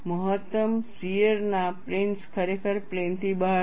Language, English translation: Gujarati, The plane of maximum shear is really out of plane